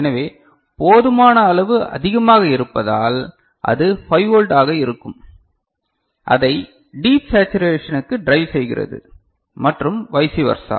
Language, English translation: Tamil, So, sufficiently high so that will be 5 volt to drive it deep into saturation and vice versa, is it clear ok